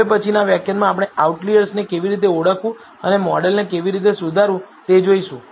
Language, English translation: Gujarati, In the next lecture we will look at how to identify outliers and how to improvise a model